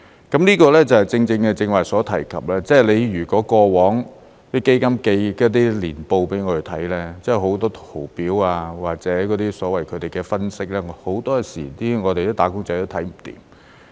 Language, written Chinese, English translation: Cantonese, 這個正正是剛才所提及，過往那些基金寄給我們看的年報有很多圖表或者所謂他們的分析，很多時候"打工仔"都看不明白。, These are exactly what we have discussed just now . In the annual statements sent to us for our information from the fund companies in the past there were a lot of charts and graphs or the so - called anaylses which were often incomprehensible to the wage earners